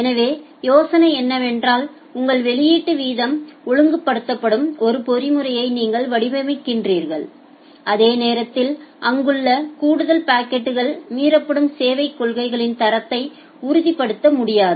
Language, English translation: Tamil, So, the idea is that what you do that you design a mechanism such that your output rate will get regulated and at the same time the additional packets which are there which will not be able to confirm to the quality of service policies that will get violated